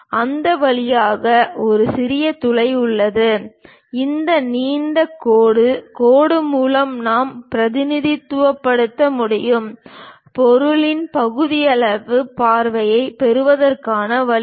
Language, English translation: Tamil, And there is a tiny hole passing through that, that we can represent by this long dash dashed line; this is the way we get a sectional view of the object